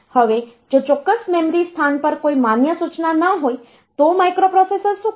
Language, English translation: Gujarati, Now, if there is no valid instruction at a certain memory location then what the microprocessor will do